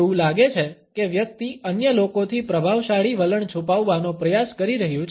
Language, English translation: Gujarati, It is as if somebody is trying to hide the dominant attitude from others